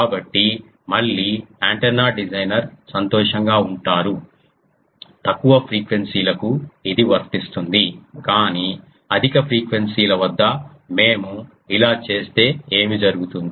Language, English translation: Telugu, So, again the antenna designer is happy, but this is true for low frequencies at high frequencies